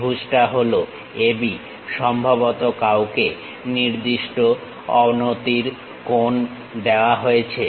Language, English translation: Bengali, The triangle is AB perhaps someone is given with certain inclination angles